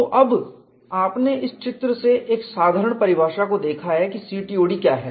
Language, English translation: Hindi, We had already seen what the diagram is for CTOD